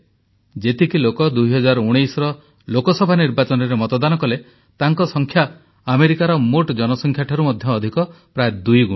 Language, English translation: Odia, The number of people who voted in the 2019 Lok Sabha Election is more than the entire population of America, close to double the figure